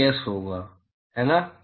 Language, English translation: Hindi, It will be Ts, right